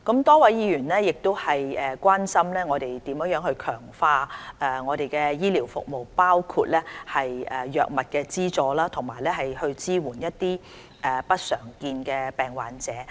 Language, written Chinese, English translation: Cantonese, 多位議員關心我們如何強化醫療服務，包括藥物資助和支援不常見疾病患者。, Many Members are concerned about how we are going to enhance health care services including drug subsidies and support for patients of uncommon disorders